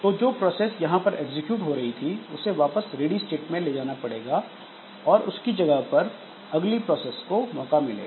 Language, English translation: Hindi, So, the process which was executing here, so it has to be taken back to the ready state and the next process should get a chance